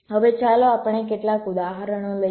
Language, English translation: Gujarati, now lets takes some examples